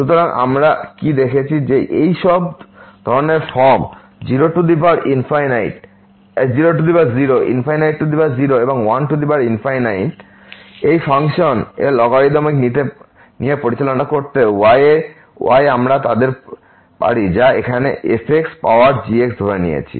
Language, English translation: Bengali, So, what we have seen that all these types of form 0 power 0 infinity power 0 and 1 power infinity they can be handled by taking the logarithmic of this function which we have assumed here power